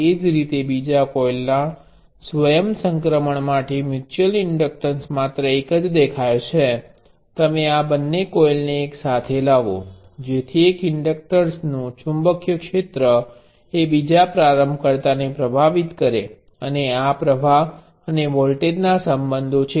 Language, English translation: Gujarati, Similarly for the self inductance of the second coil is mutual inductance appears only one you bring these two coils together, so that the magnetic field from one inductor and influences the other inductor, and these are the current, voltage relationships